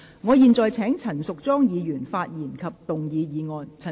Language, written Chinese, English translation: Cantonese, 我現在請陳淑莊議員發言及動議議案。, I now call upon Ms Tanya CHAN to speak and move the motion